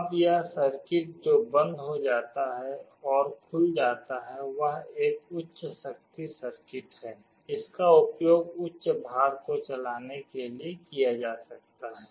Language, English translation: Hindi, Now this circuit which closes and opens is a high power circuit, this can be used to drive a high load